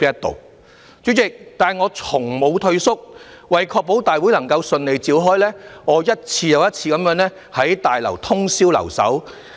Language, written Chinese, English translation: Cantonese, 代理主席，但我從無退縮，為確保大會能夠順利召開，我一次又一次在大樓通宵留守。, But Deputy President I have never backed down . Time after time I have stayed in this Complex overnight to ensure that Council meetings could be successfully held